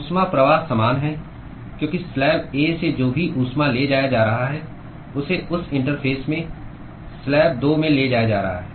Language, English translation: Hindi, Heat flux is same, because whatever heat that is being transported from slab A is being transported to slab 2 at that interface